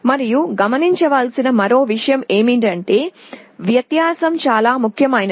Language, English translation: Telugu, And the other point to note is that the difference can be quite significant